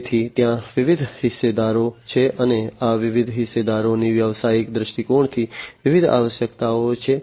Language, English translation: Gujarati, So, there are different stakeholders, right and these different stakeholders have different requirements, from a business perspective